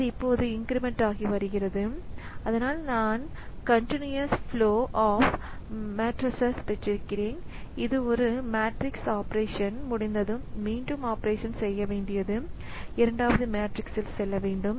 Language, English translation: Tamil, Now it may so happen that I have got a continuous flow of matrices and once one matrix operation is over then again the operation should do should go on on a second matrix